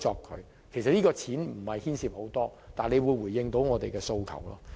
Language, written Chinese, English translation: Cantonese, 其實，推行此建議所費無幾，但卻能夠回應我們的訴求。, In fact it is not a costly suggestion and the Government should respond to our demand